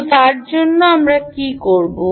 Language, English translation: Bengali, what can we do with that